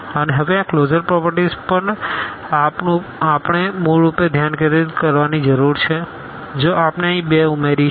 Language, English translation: Gujarati, And, now this closure properties we need to basically focus on if we add the 2 here